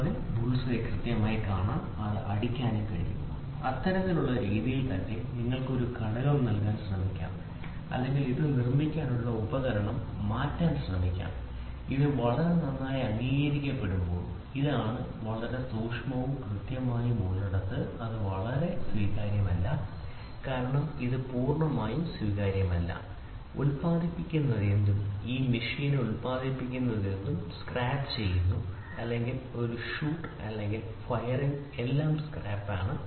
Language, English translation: Malayalam, So, that he can accurately see at the bulls eye and hit it and in the same way process you can try to give a fixture or you can try to change the tool to produce this, when this is the very well accepted, this is the very well accepted thing where it is precise and accurate, this is completely not acceptable because whatever is getting produced is scrap whatever it is getting produced in this machine or whatever is a shoot or firing everything is scrap